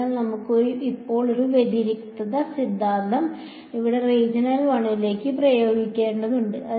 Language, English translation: Malayalam, So, we need to now apply this divergence theorem to region 1 over here ok